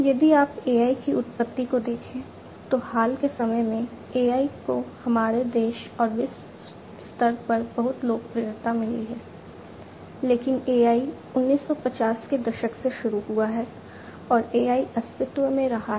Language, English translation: Hindi, If you look at the origin of AI, AI in the recent times have found lot of popularity in our country and globally, but AI has been there since long starting from the 1950s AI has been in existence